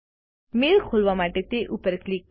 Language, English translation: Gujarati, Click on the mail to open it